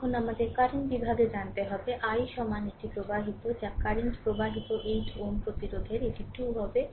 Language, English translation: Bengali, Now, we have to the current division will find out i is equal to right it is flowing what is the current flowing to 8 ohm resistance it will be 2 right